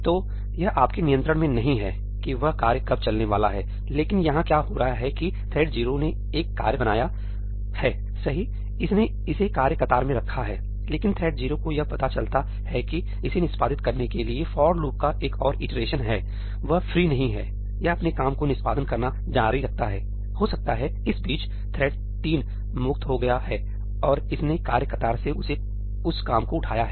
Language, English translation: Hindi, So, it is not in your control when that task is going to run, but what is happening here is that thread 0 has created a task, right, it has put it in the task queue; but thread 0 realises that it has another iteration of the for loop to execute, itís not free, it is going to continue executing, doing its work; maybe, in the meanwhile, thread 3 has become free and it has picked up that work from the task queue